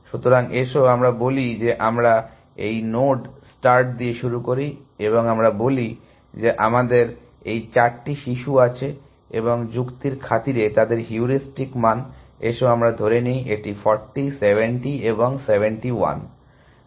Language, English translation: Bengali, So, let us say we start with this node start, and let us say we have these four children, and their heuristic values for the sake of argument, let us say, this is 40 and 70 and 71